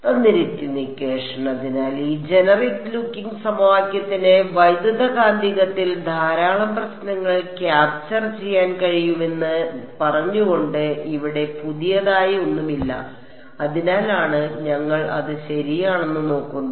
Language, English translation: Malayalam, So, nothing new here just saying that this generic looking equation can capture a lot of problems in electromagnetic, that is why we sort of look at it ok